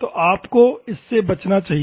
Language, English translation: Hindi, So, you should avoid that one